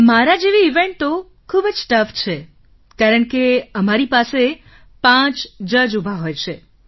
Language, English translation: Gujarati, In an event like mine it is very tough because there are five judges present